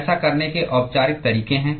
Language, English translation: Hindi, There are formal ways to do that